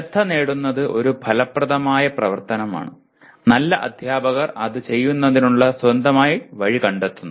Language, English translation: Malayalam, That getting the attention is an affective activity and good teachers find their own way of doing actually